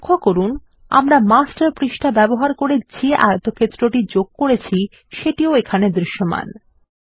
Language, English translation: Bengali, Notice, that the rectangle we inserted using the Master page, is still visible